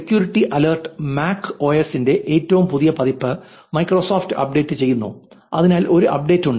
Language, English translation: Malayalam, Security alert, Microsoft is updating the latest version of MacOS, there is an update